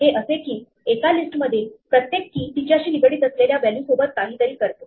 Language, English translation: Marathi, This is something for every key in a list do something with a value associated to that